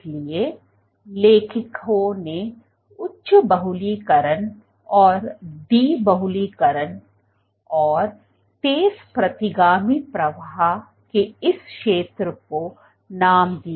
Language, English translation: Hindi, So, what the authors did was called this zone of, zone of high polymerization and de polymerization and fast retrograde flow